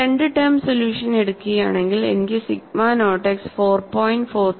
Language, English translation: Malayalam, If I take two term solution, I get sigma naught x is 4